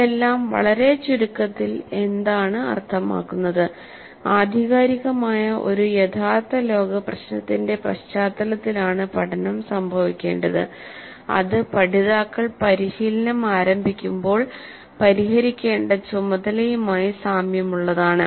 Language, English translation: Malayalam, Very briefly what it means is that the learning must occur in the context of an authentic real world problem that is quite similar to the task that the learners would be required to solve when they practice